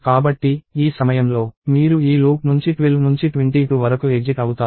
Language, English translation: Telugu, So, at this point, you exit out of this loop from 12 to 22